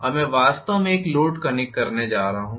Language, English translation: Hindi, Now, I am going to actually connect a load okay